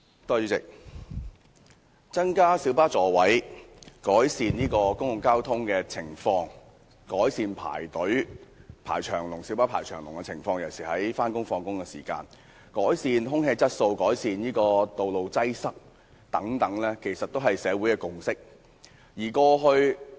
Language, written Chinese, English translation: Cantonese, 主席，增加公共小型巴士座位數目、改善公共交通情況、改善小巴大排長龍的情況、改善空氣質素、改善道路擠塞等，其實均是社會的共識。, President there is actually a consensus in the community to increase the seating capacity of public light buses PLBs improve the conditions of public transportation address the problems of long queues for PLBs improve air quality improve traffic congestion etc